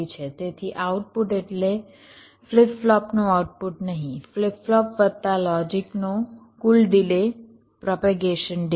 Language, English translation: Gujarati, so output means not the output of the flip flop, flip flop plus the logic, the total propagation delay starting from the clock edge